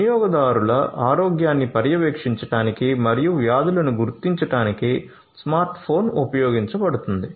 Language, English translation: Telugu, Smart phone is used to monitor the health of users and detect the diseases